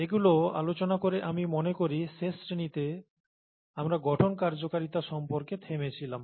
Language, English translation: Bengali, Having said these I think in the last class we stopped here the structure function relationship